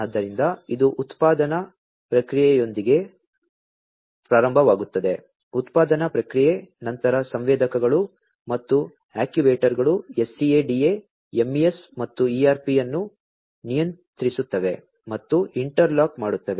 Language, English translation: Kannada, So, it starts with the production process; production process, then the sensors and the actuators control and interlocking SCADA, MES, and ERP